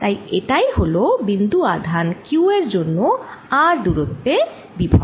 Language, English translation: Bengali, so this is the potential due to a point charge q at a distance r from it